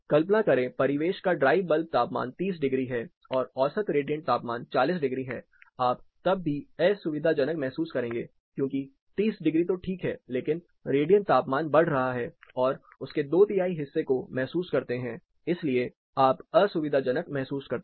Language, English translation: Hindi, Imagine, you are ambient dry bulb temperature is 30 degrees, but your mean radiant temperature is 40 degrees then, you will still be uncomfortable because even 30 degrees as such 30 is ok, but when the radiant temperature is increasing two third of contribution is made by this